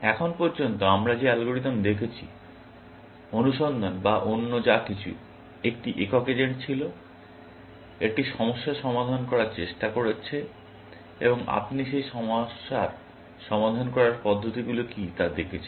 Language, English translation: Bengali, So far, the algorithm that we have looked at, search or whatever else; there was a single agent, trying to solve a problem, and you are looking at what are the approaches solve that problem